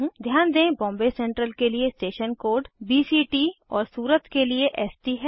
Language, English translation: Hindi, Notice the station code, BCT is for Bombay Central and ST is for Surat